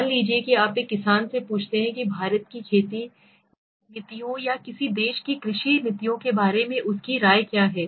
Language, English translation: Hindi, Suppose you ask a farmer what is his opinion about the farming policies of India or the farming policies of any country